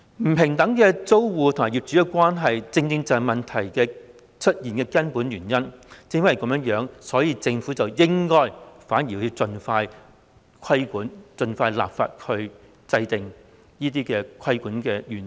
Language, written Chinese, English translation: Cantonese, 租客與業主的不平等關係正正是出現問題的根本原因，正因如此，政府反而應盡快進行規管，盡快立法制訂規管的原則。, The unequal landlord - tenant relationship is precisely the root cause of the problems . For this reason the Government should instead impose regulation and devise the principles of regulation through legislation as soon as possible